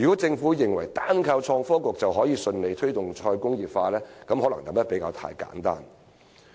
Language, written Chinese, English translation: Cantonese, 政府若認為單靠創新及科技局便可以順利推動"再工業化"，可能想得太簡單。, If the Government thinks that the Innovation and Technology Bureau alone is capable of successfully promoting re - industrialization it may be taking things too lightly